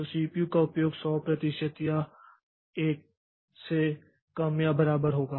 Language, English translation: Hindi, So, the so the CPU utilization will be less or equal 100% or 1